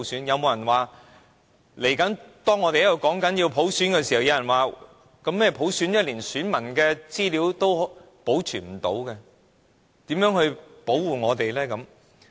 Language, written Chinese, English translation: Cantonese, 有沒有人會在大家都想要普選時，說連選民資料都保存不了，如何保護大家？, Was it an attempt to tell all those asking for universal suffrage that electors would have no protection as even their information could be stolen?